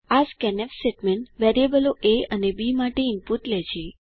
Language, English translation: Gujarati, This scanf statement takes input for the variables a and b